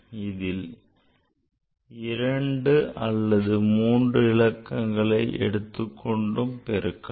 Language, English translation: Tamil, So, after multiplying two numbers, it can be three numbers, four numbers also